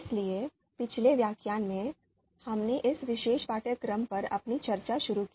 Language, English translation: Hindi, So in previous lecture, we started our discussion on this particular course